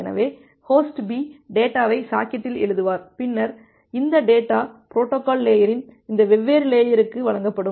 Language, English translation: Tamil, So, host B will write the data in the socket, then this data will be delivered to this different layer of the protocol stack